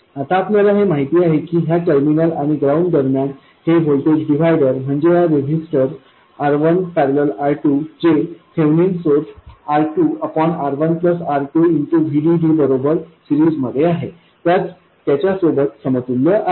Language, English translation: Marathi, Now we know that between this terminal and ground, this voltage divider is equal into a resistor R1 parallel R2 in series with the feminine source, which is VDD times R2 by R1 plus R2